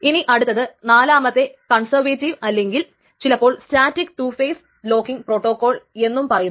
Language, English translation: Malayalam, So the fourth one in this is called the conservative or sometimes called the static two phase locking protocol